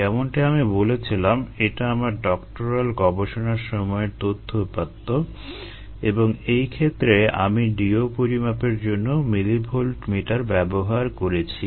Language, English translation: Bengali, this happens to be my own data, my doctoral studies and i had used to a millivolt meter to measure